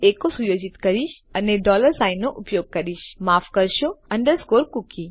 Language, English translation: Gujarati, So what Ill do is Ill set echo and Ill use a dollar sign, sorry, underscore cookie